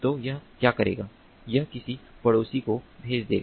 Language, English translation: Hindi, so what it will do is it will send to some of its neighbors